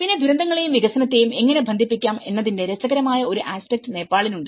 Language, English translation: Malayalam, Then, Nepal has very interesting aspect of how to connect the disasters and development